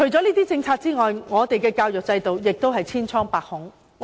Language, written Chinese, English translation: Cantonese, 除了政策之外，我們的教育制度亦是千瘡百孔。, Apart from the formulation of policies our education system is also plagued with problems